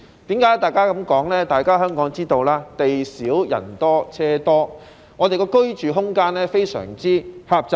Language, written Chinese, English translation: Cantonese, 大家也知道，香港地少但人多車多，居住空間非常狹窄。, We all know that Hong Kong is a small but densely populated place with many vehicles and very limited living space